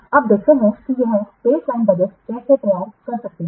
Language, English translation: Hindi, Now, let's see about this baseline budget